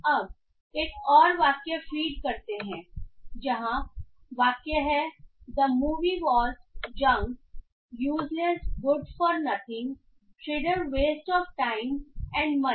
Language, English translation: Hindi, Now let us feel for another sentence where the sentence says the movie was junk, useless, good for nothing, sheer waste of time and money